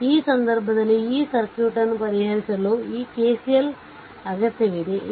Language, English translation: Kannada, So, in this case what you call a this KCL is needed, for solving this circuit